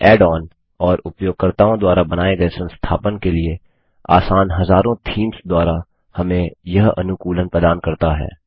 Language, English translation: Hindi, And it offers customization by ways of add ons and thousands of easy to install themes created by users